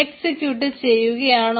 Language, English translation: Malayalam, so executing, yeah